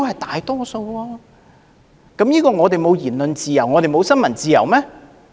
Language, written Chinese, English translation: Cantonese, 這種情況代表香港沒有言論自由和新聞自由嗎？, Does this mean that Hong Kong does not have freedom of speech and freedom of the press?